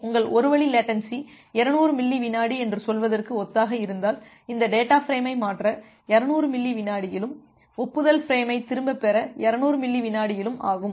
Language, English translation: Tamil, So, because you can see that it will take; if your one way latency is something similar to say 200 millisecond, then it will take 200 millisecond to transfer this data frame and another 200 millisecond to get back the acknowledgement frame